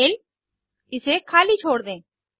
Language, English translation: Hindi, Email– Lets leave it blank